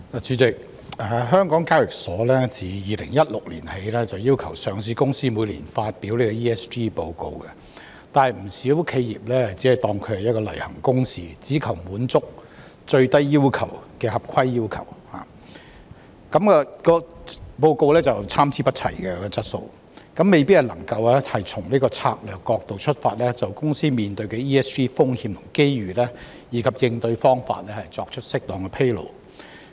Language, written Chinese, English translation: Cantonese, 主席，港交所自2016年起，要求上市公司每年發表 ESG 報告，但不少企業只當作例行公事，只求滿足最低的合規要求，故此報告的質素參差不齊，未必能夠從策略角度出發，就公司面對的 ESG 風險和機遇，以及應對方法作出適當的披露。, President HKEx has since 2016 required listed companies to publish ESG reports on an annual basis but quite a number of enterprises only regard it as a matter of routine and they only seek to meet the minimum compliance requirements . As a result the quality of these reports varies greatly and it may not be possible for enterprises to make appropriate disclosures on the ESG risks and opportunities that they face as well as the ways to deal with them from a strategic perspective